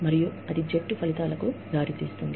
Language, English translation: Telugu, And, that leads to, team outcomes